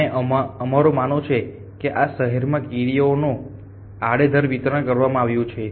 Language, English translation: Gujarati, And we assume that is ants kind of distributed randomly across these cities